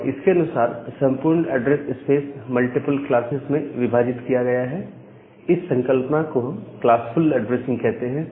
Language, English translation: Hindi, And accordingly, the entire address space is divided into multiple classes, so that particular concept we used to call as classful addressing